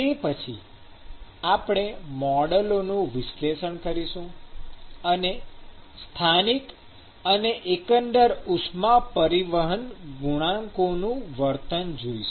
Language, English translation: Gujarati, We will then analyze the models and the behavior of the local and the overall heat transport coefficients